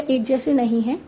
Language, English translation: Hindi, They are not the same